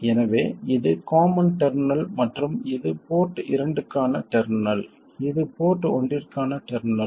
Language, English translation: Tamil, So this is the common terminal and this is the terminal for port 2 and this is the terminal for port 1